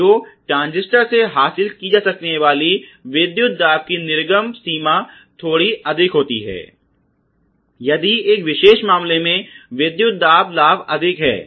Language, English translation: Hindi, So, the output range of the voltages that can be achieved of the transistor is simply higher if the gain voltage in this particular case is high and vice versa